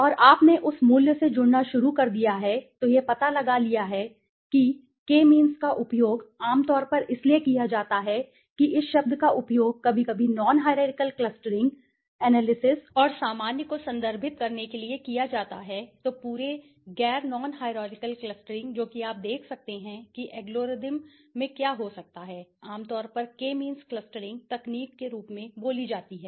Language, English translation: Hindi, And you started you connecting to that value and find out the closest ones K means is so commonly used that this term is sometimes used to refer non hierarchical clustering analysis and general right so the whole non hierarchical clustering which is if you can see algorithm has can be generally spoken as a K means clustering technique okay